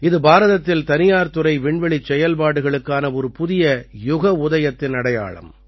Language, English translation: Tamil, This marks the dawn of a new era for the private space sector in India